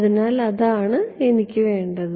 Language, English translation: Malayalam, So, that is what I want